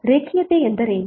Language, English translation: Kannada, So what is linearity